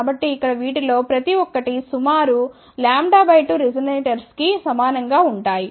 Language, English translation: Telugu, So, each one of these things here are approximately lambda by 2 resonators